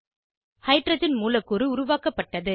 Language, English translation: Tamil, Hydrogen molecule is formed